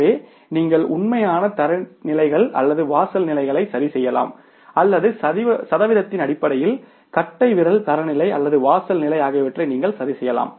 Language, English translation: Tamil, So, you can either fix up the absolute standards or threshold levels or you can in terms of the percentage you can fix up the rule of thumb standard or the threshold level